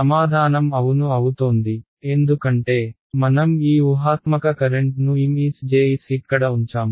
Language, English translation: Telugu, Answer is going to be yes because I have put this hypothetical current over here Ms Js ok